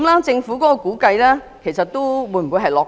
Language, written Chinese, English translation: Cantonese, 政府的估計是否過於樂觀？, Is the Governments estimate over - optimistic?